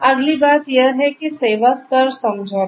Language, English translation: Hindi, The next thing is that Service Level Agreement